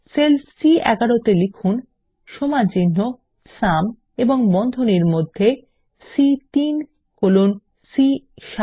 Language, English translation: Bengali, In the cell C11 lets type is equal to SUM and within braces C3 colon C7